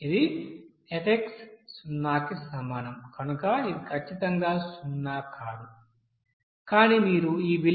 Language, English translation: Telugu, This you know it is not coming to exactly 0 as f is equal to 0, but if you change this value of 0